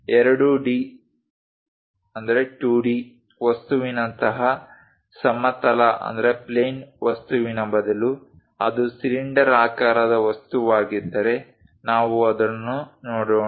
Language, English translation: Kannada, Instead of a plane object like 2d object, if it is a cylindrical object let us look at it